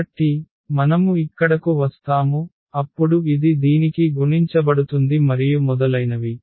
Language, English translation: Telugu, So, we will get here then this will be multiplied to this and so on